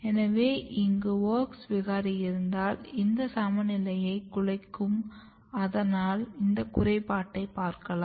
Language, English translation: Tamil, And if you have WOX mutants here the balance is basically disturbed and that is why you see the defect